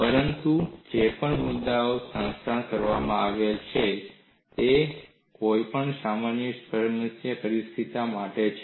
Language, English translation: Gujarati, But whatever the points that are summarized, it is for any generic problem situation